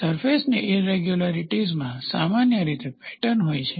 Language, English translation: Gujarati, Surface irregularities generally have a pattern